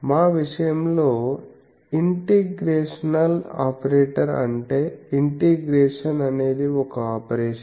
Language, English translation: Telugu, In our case integral operator that integration is an operation that is a linear operation